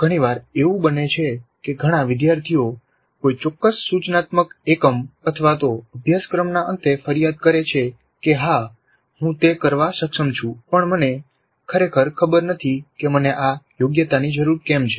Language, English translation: Gujarati, Quite often it happens that many students do complain at the end of a particular instructional unit or even a course that yes I am capable of doing it but I really do not know why I need to have this competency